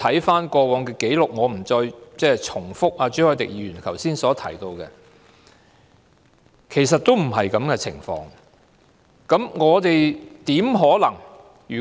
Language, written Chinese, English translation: Cantonese, 翻看過往的紀錄——我不再重複朱凱廸議員剛才的說話——其實情況並非如此。, Actually this is not the case when we look through the past records―I am not going to repeat what Mr CHU Hoi - dick has said just now